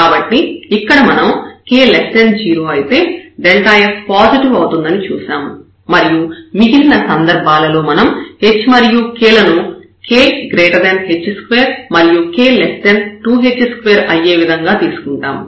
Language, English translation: Telugu, So, here we have seen that for k less than 0 delta f is positive and in the other possibilities, we will choose our h and k such that; the k is bigger than h square and less than 2 h square